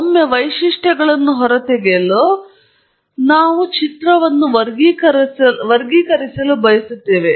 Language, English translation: Kannada, Once we extract features, we would like to classify image